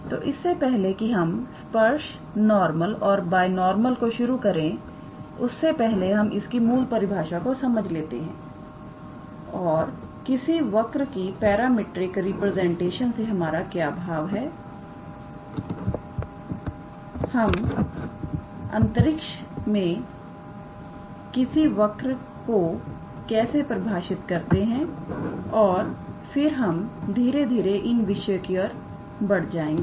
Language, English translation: Hindi, So, before we start with tangent, normal and binormal we give some basic definitions and how to say idea of what do we mean by a parametric representation of a curve, how do we define a curve in a space and then we slowly move on to these topics all right